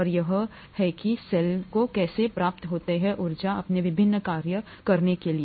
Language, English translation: Hindi, And this is how the cell gets its energy to do its various functions